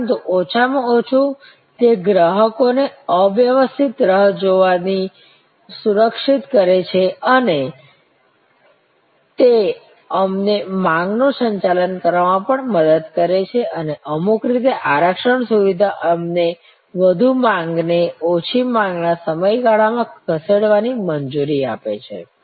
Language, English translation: Gujarati, But, at least it safe customers from waiting an unoccupied and it also help us to manage the demand and in some way the reservations system allows us to move peak demand to a lean demand period